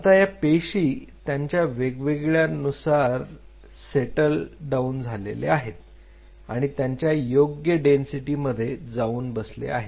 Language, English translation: Marathi, Now the cells of different densities are going to settle down where they find their matching density